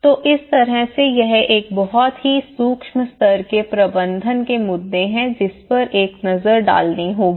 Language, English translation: Hindi, So, in that way, these are a very micro level management issues one has to look at it